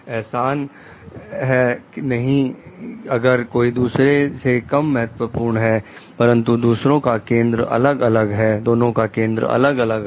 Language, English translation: Hindi, It is not like that, if someone is lesser important than the other, but the focus is different